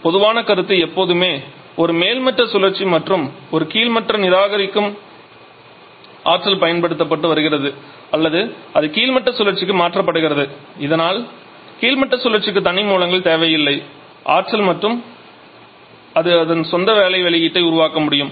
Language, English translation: Tamil, The idea general is always to have a topping cycle and a bottoming cycle such that the energy that the topping cycle is rejecting that is being utilized to or that is being transferred to the bottoming cycle so that the bottoming cycle does not need any separate source of energy and it can produce its own work output